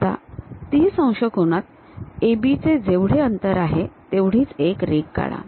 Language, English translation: Marathi, So, draw a line 30 degrees transfer AB length here